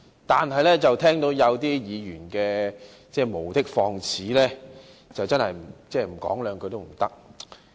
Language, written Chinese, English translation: Cantonese, 但是，聽到有些議員無的放矢，我不得不說兩句。, However I cannot but speak up after hearing the groundless accusations of some Members